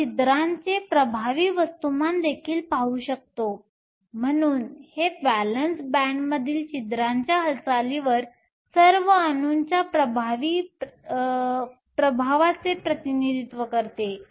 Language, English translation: Marathi, You can also look at the effective mass of the holes, so this represents the effective the influence of all the atoms on the movement of the holes in the valence band